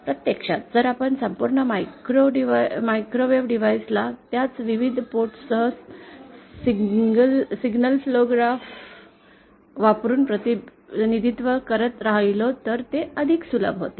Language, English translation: Marathi, In fact it becomes easier if we represent the entire microwave device with its various ports using single flow graph